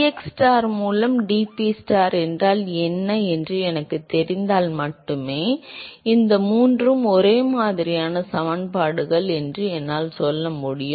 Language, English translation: Tamil, So, only if I know what is the, what is dPstar by dxstar, then I should be able to say that these three are similar equations